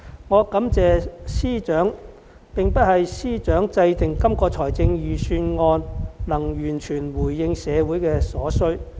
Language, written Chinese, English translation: Cantonese, 我感謝司長，並非因為司長制訂的這份預算案能完全回應社會所需。, I am grateful to FS not because this Budget prepared by him has responded to all the needs of the community